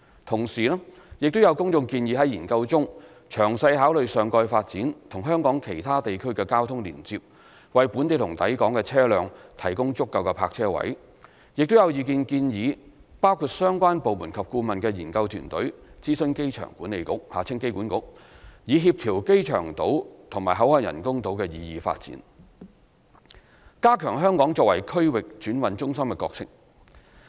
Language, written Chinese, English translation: Cantonese, 同時，亦有公眾建議在研究中詳細考慮上蓋發展與香港其他地區的的交通連接，為本地和抵港的車輛提供足夠泊車位；亦有意見建議包括相關部門及顧問的研究團隊諮詢香港機場管理局以協調機場島及口岸人工島的擬議發展，加強香港作為區域轉運中心的角色。, At the same time the public also proposed that traffic connection between the topside development and the other districts and provision of adequate parking spaces for local and incoming vehicles should be considered in detail in the study . Some views also suggested the study team comprising the relevant departments and consultants to consult the Airport Authority Hong Kong AAHK for coordination of proposed developments on the Airport Island and the BCF Island with a view to enhancing Hong Kongs role as a regional transhipment centre